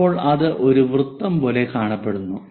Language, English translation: Malayalam, So, here we will see a circle